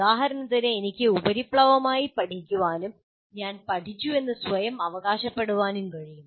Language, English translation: Malayalam, For example, I can superficially learn and claim to myself that I have learned